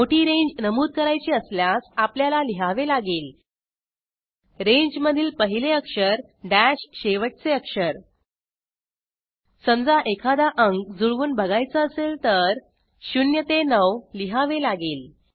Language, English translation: Marathi, If we want to specify a large range then we write: First letter dash last letter of the range Suppose we like to match any digit we simply write [0 9]